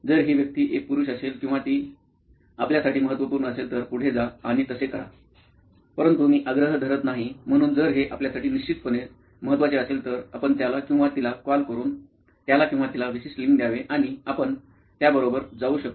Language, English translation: Marathi, If this person is a male or female is important for your case go ahead and do that, but I do not insist, so if it is important for you definitely by all means you should call him or her and give it a particular sex and you can go with that otherwise it is not mandatory